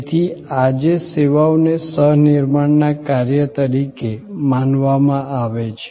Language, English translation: Gujarati, So, today services are thought of as an act of co creation